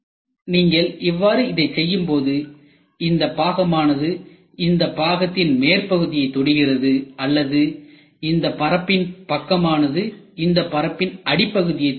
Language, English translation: Tamil, So, when you make it like this so this part touches the top of this part or this side of the face is touched at the bottom of this face